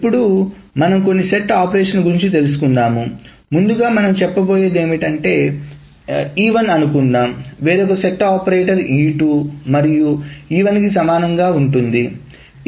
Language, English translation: Telugu, The first thing that we are going to say is suppose E1 there is some set operator E2 is going to be equivalent to E2 and E1